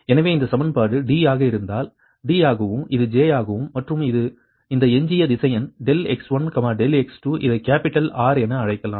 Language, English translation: Tamil, therefore, this equation, if it is d, if it is d and this is j, and this residual vector, delta x one, delta x two, this can be called as capital r right